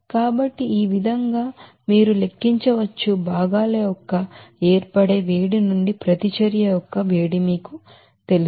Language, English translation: Telugu, So in this way you can calculate you know heat of reaction from the heat of formation of the constituents